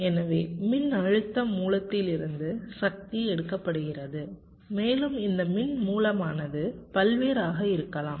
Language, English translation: Tamil, so power is drawn from the voltage source, and this source, i mean sources of these currents can be various